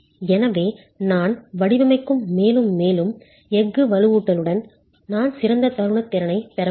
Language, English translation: Tamil, So, that's the zone where with more and more steel reinforcement that I design, I will be able to get better moment capacity